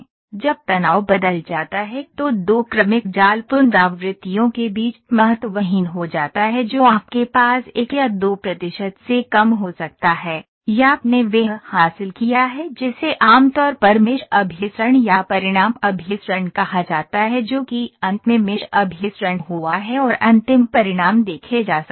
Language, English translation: Hindi, When the stress changed becomes insignificant between two successive mesh iterations say less than 1 or 2 percent you can have, or you have achieved what is commonly called mesh convergence or result convergence that is the finally, mesh convergence has happened and final results can be seen or obtained